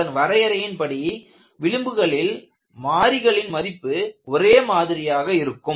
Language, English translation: Tamil, By definition, along the contour, the value of the variable remains same